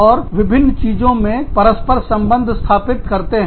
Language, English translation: Hindi, And, they correlate, different things